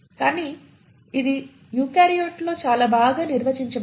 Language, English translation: Telugu, But it is very well defined in the eukaryotes